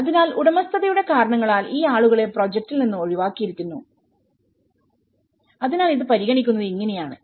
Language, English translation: Malayalam, So, these people have been excluded from the project for reasons of ownership so this is how this has been considered